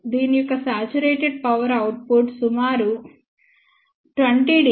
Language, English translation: Telugu, Saturated power output of this is approximately 20 dBm which is equal to 0